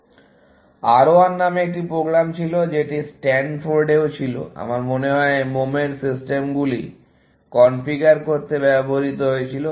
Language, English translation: Bengali, There was a program called R 1, which was also at Stanford I think, which was used to configure wax systems